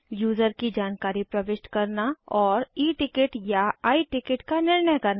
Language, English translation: Hindi, To enter user information and to decide E ticket or I ticket